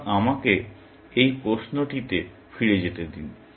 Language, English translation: Bengali, So, let me get back to this question